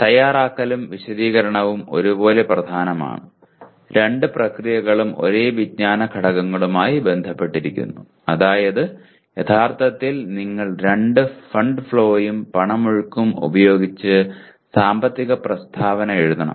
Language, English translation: Malayalam, And preparation and explanation are equally important and both the processes are related to the same knowledge elements namely actually you should write financial statement using fund flow and cash flow, okay